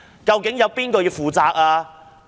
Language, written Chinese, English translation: Cantonese, 究竟誰應負責呢？, Who should be held accountable?